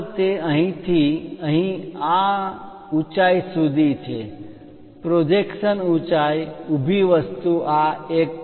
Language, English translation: Gujarati, The next one is from here to here this height, the projection height vertical thing this is 1